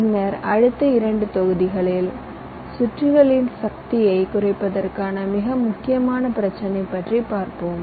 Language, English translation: Tamil, then in the next two modules we shall be talking about the very important issue of reduction of power in circuits